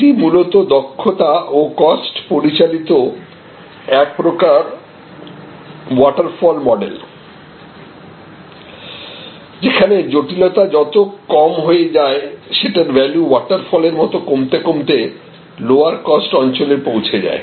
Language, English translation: Bengali, So, it was all basically efficiency driven, cost driven following a sort of a waterfall model, that lower the complexity lower it went into the value waterfall and it moved to lower cost zones